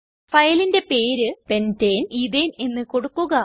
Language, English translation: Malayalam, Select the file named pentane ethane from the list